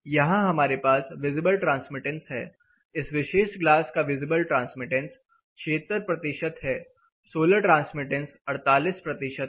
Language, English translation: Hindi, Here we have visible, so this particular glass 76 percent visible transmittance, solar transmittance is 48 percent, reflectance out and in reflection